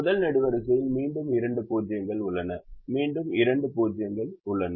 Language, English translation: Tamil, the first column again has two zeros